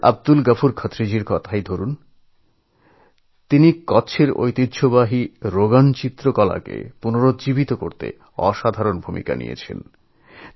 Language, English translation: Bengali, Take the case of Abdul Ghafoor Khatri of Gujarat, whohas done an amazing job of reviving the traditional Rogan painting form of Kutch